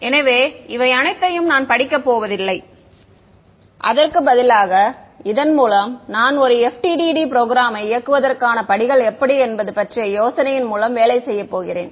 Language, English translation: Tamil, So, I would not read through all of this I will just working through this we will also get an idea of how to what are the steps in running an FDTD program ok